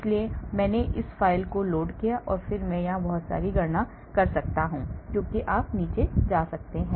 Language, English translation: Hindi, so I have loaded this file and then I can do a lot of calculations here as you can go down